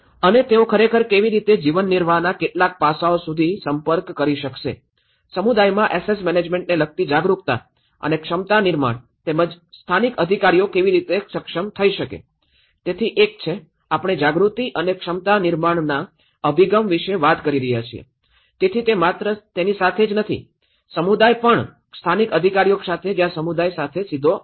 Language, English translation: Gujarati, And how they can actually able to approach certain livelihood aspect, generating awareness and capacity building regarding asset management in the community as well as local authorities, so one is, we are talking about the awareness and capacity building approach, so it is not only with the community but also with the local authorities where the community is directly relevant